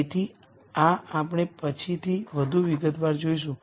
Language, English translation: Gujarati, So, this we will see in more detail later